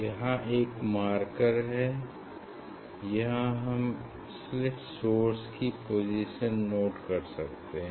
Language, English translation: Hindi, you can one can note down the position of the slit source